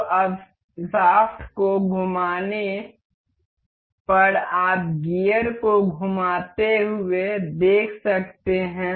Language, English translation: Hindi, So, now on rotating this shaft you can see the gear rotating